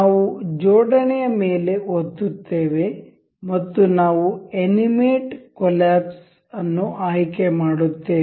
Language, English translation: Kannada, We will click on assembly and we will select animate collapse